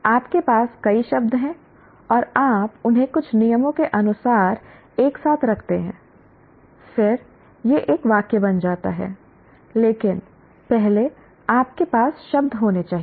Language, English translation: Hindi, You have several words and you put them together in some as per certain rules and then it becomes a sentence